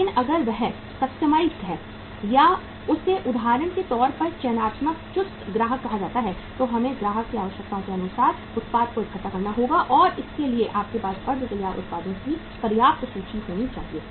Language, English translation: Hindi, But if he is customized or he is say for example a selective, choosy customer then we will have to assemble the product as per the requirements of the customer and for that we should have sufficient inventory of the semi finished products